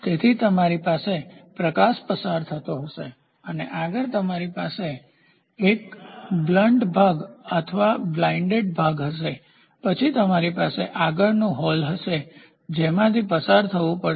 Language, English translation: Gujarati, So, you will have a light passing through and next you will have a blunt portion or a blind portion, then you will have a next hole which comes through